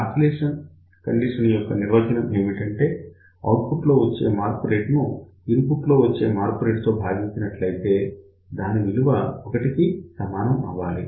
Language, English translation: Telugu, So, what is the oscillation condition, this is rate of change of the output divided by rate of change in the input should be equal to 1